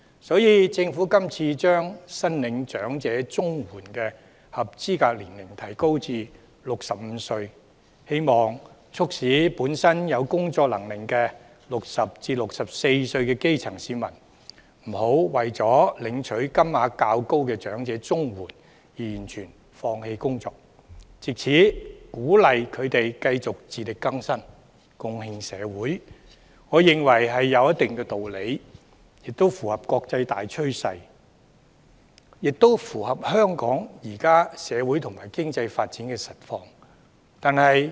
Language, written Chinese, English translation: Cantonese, 所以，政府今次把申領長者綜合社會保障援助的合資格年齡提高至65歲，希望促使本身具工作能力的60至64歲基層市民，不要為了領取金額較高的長者綜援而完全放棄工作，藉此鼓勵他們繼續自力更生，貢獻社會，我認為有一定道理，亦符合國際大趨勢和香港現今社會與經濟發展的實況。, Hence I find it somewhat reasonable for the Government to raise the eligibility age for the elderly Comprehensive Social Security Assistance CSSA to 65 so as to encourage grass roots aged 60 to 64 with work capacity to continue to be self - reliant and contribute to society rather than giving up work for higher elderly CSSA . This measure is also in line with the international trend and the actual social and economic development in Hong Kong